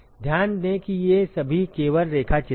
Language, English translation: Hindi, Note that all these are just sketches